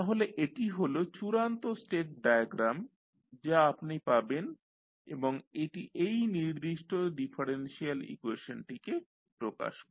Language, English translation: Bengali, So, this is the final state diagram which you will get and this will represent these particular differential equation